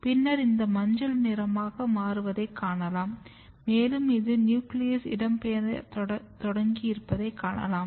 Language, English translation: Tamil, And then you can see slightly more later stage this becomes more yellow and this is the site when you can also see that nucleus has also started migrating